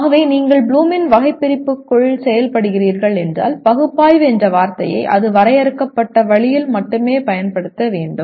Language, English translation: Tamil, So if you are operating within Bloom’s taxonomy you have to use the word analyze only in the way it is defined